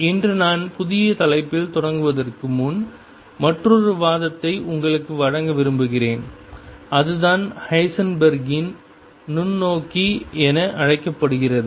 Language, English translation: Tamil, I want to give you another argument before I start in the new topic today and that is what is known as Heisenberg’s microscope